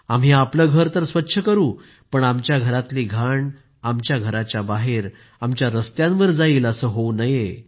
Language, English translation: Marathi, It should not be that we clean our house, but the dirt of our house reaches outside, on our roads